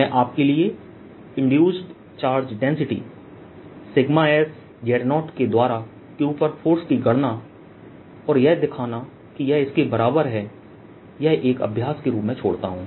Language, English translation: Hindi, i'll leave this as an exercise for you: to calculate force on q by the induced charge density sigma s, z naught and show that this is equal to this